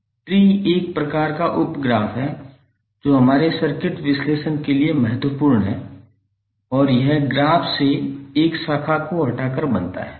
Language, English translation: Hindi, Tree is one kind of sub graph which is important for our circuit analysis and it is form by removing a branch from the graph